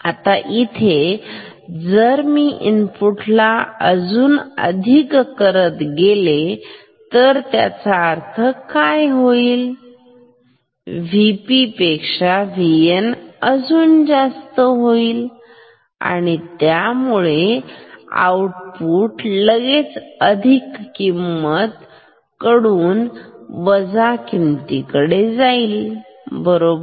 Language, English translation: Marathi, Now, if I make the input more positive than this; that means, V N more positive than V P; then output will switch immediately from a positive value to negative value right